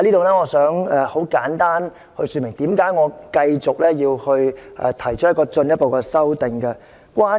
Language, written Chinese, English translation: Cantonese, 我想在此簡單說明為何我要進一步提出修正案。, I would like to explain briefly why I proposed a further amendment